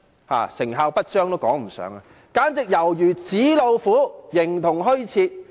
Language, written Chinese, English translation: Cantonese, 連成效不彰也說不上，簡直猶如紙老虎，形同虛設。, It cannot even be described as ineffective . It is simply like a paper tiger that has been rendered non - existent